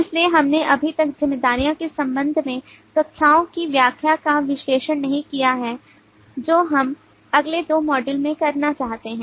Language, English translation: Hindi, so we have not yet analyzed the interpretation of the classes in terms of the responsibilities which we will what we would like to do in the next couple of modules